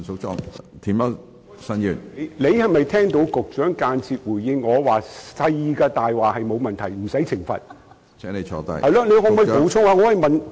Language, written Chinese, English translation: Cantonese, 主席，你有否聽到局長間接回應，小的謊話沒有問題，不用懲罰？, President have you heard the Secretarys indirect response that telling small lies is no big deal and will not be punished?